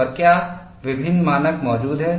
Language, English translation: Hindi, And what are the different standards exist